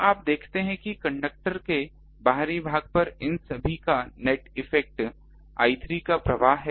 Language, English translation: Hindi, So, you see that net effect of all these is this flow of I 3 to the outer of the conductor